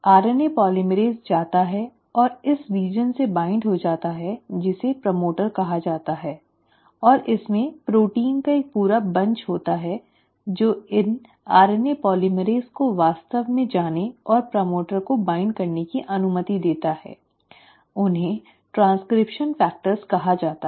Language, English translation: Hindi, RNA polymerase actually goes and binds to this region which is called as the promoter and there are a whole bunch of proteins which allow these RNA polymerase to actually go and bind to the promoter, they are called as transcription factors